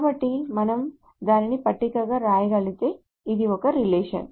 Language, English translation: Telugu, So this is just the same relation if we can write it as a table